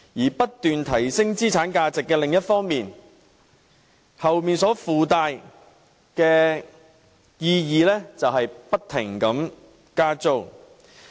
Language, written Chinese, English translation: Cantonese, 在不斷提升資產價值的另一方面所附帶的意義便是不停加租。, The implication of such a continual rise in asset value is continual rent increases